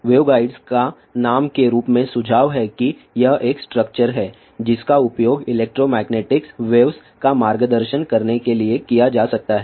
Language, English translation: Hindi, The waveguides as the name suggest that it is a structure which can be used to guideelectromagnetic waves along it